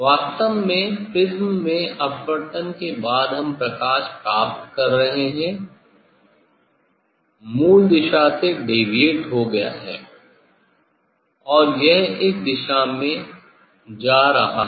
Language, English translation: Hindi, actually after refraction in the prism we are getting light is deviated from the original direction and it is going in this direction